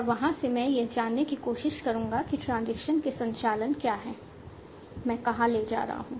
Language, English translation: Hindi, And from there I will try to learn what are the operations or transitions I am going to take